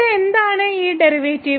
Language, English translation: Malayalam, So, what is this derivative here delta